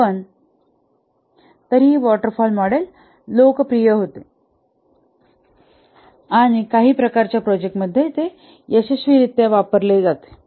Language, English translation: Marathi, But then the waterfall model was popular and it is also successfully used in some types of projects